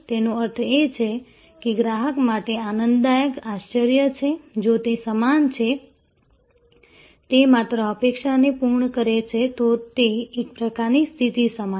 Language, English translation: Gujarati, That means, customer is it is a delightful surprise for the customer, if it is equal, it just meets the expectation, then it kind of it is an even keel situation